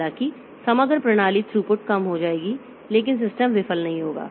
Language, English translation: Hindi, Though the overall system throughput will become less, but the system will not fail